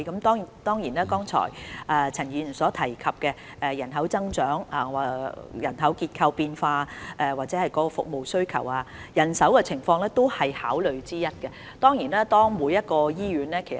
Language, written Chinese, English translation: Cantonese, 當然，就陳議員剛才所提及的人口增長、人口結構變化及服務需求等問題，人手是考慮因素之一。, Regarding the issues mentioned by Ms CHAN just now such as population growth changes in population structure and also service demand manpower is certainly one of our considerations